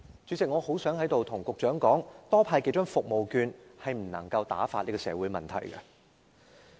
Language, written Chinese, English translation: Cantonese, 主席，我希望在此對局長說，多派數張服務券是不能打發這些社會問題的。, President here I wish to tell the Secretary that handing out a few more vouchers is unable to dismiss these social problems